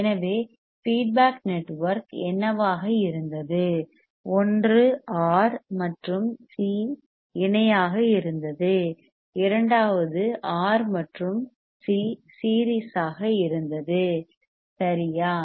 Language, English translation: Tamil, So, what was the feedback network one R and C in parallel second R and C in series right